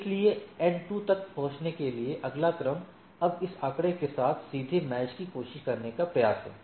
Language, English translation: Hindi, So, in order to reach N 2, the next order is now try to try to directly a match with this figure